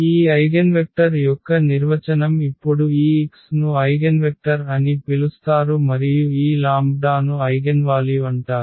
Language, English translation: Telugu, So, that is the definition now of this eigenvector this x is called the eigenvector and this lambda is called the eigenvalue